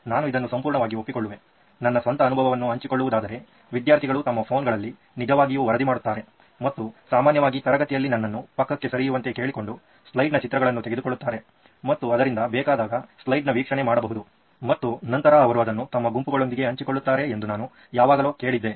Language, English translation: Kannada, So one is the sharing part I totally agree, I have seen in my own experience that the students actually report their phones and take a picture of the slide and usually ask me to get out of the way so that they can get a view and then I always heard that they share it with their own groups